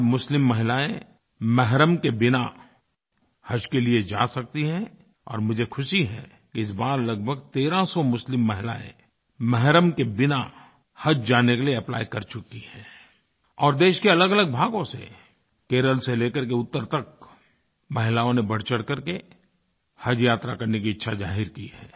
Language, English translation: Hindi, Today, Muslim women can perform Haj without 'mahram' or male Guardian and I am happy to note that this time about thirteen hundred Muslim women have applied to perform Haj without 'mahram' and women from different parts of the country from Kerala to North India, have expressed their wish to go for the Haj pilgrimage